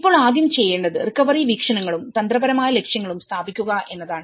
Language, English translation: Malayalam, Now, the first thing is setting up recovery vision and strategic objectives